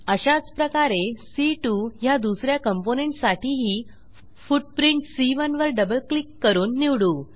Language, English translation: Marathi, Similarly for second component C2 also we will choose footprint C1 by double clicking on it